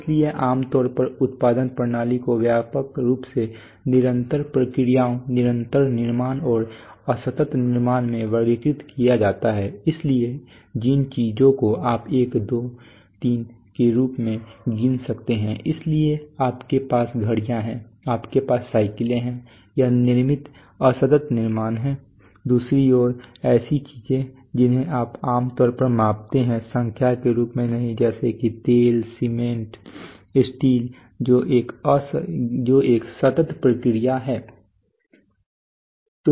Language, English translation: Hindi, So typically production systems are categorized broadly into continuous processes and so continuous manufacturing and discrete manufacturing, so things which you can count as one two three, so you have watches you have bicycles this is manufactured discrete manufacturing on the other hand things which you generally measure not as numbers what does quantities like oil, steel, cement that is a continuous process right